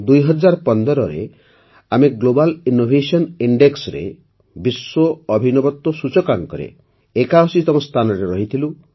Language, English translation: Odia, In 2015 we were ranked 81st in the Global Innovation Index today our rank is 40th